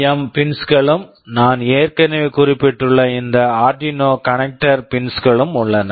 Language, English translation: Tamil, Then there are SPI pins, I2C pins, PWM pins, and this Arduino connector pins I have already mentioned